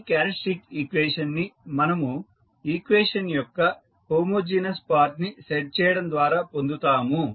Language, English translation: Telugu, We obtain this characteristic equation by setting the homogeneous part of the equation